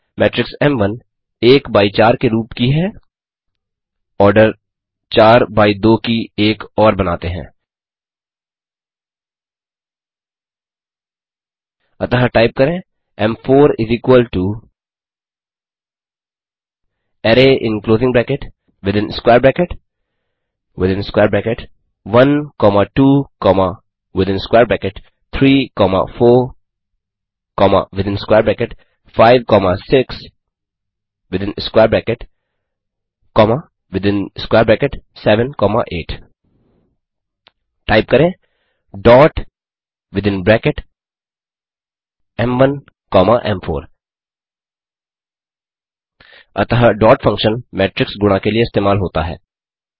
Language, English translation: Hindi, Type m1.shape and hit enter matrix m1 is of the shape one by four, let us create another one, of the order four by two, So type m4 = array in closing bracket within square bracket within square bracket 1 comma 2 comma within square bracket 3 comma 4 comma within square bracket 5 comma 6 within square bracket comma within square bracket 7 comma 8 Type dot within bracket m1 comma m4 Thus the dot() function is used for matrix multiplication